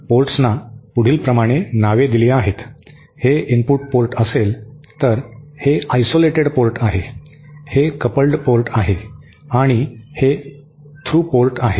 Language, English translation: Marathi, The ports are labelled like this, if this is the input port, this is the isolated port, this is the coupled port and this is the throughput